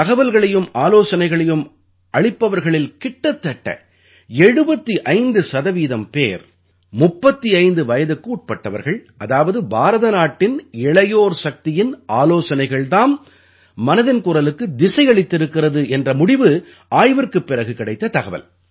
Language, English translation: Tamil, The study revealed the fact that out of those sending messages and suggestions, close to 75% are below the age of 35…meaning thereby that the suggestions of the youth power of India are steering Mann ki Baat